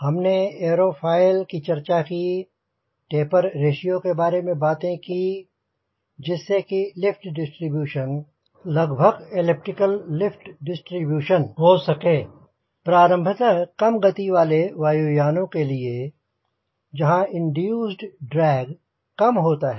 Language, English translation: Hindi, we talked about aerofoil, talked about twist, talked about tabber ratio to ensure near elliptic leave distribution, primarily for low speed airplane so that induced drag is low